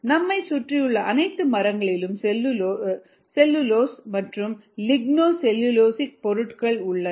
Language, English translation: Tamil, all the wood around you contains cellulose and ligno cellulosic materials